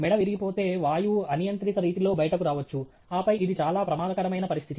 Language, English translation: Telugu, If the neck breaks, the gas can come out in an uncontrolled manner, and then, itÕs a very dangerous situation